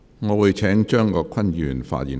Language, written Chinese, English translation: Cantonese, 我會請張國鈞議員發言。, I now call upon Mr CHEUNG Kwok - kwan to speak